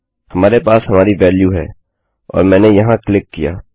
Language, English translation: Hindi, We have our value in and I click there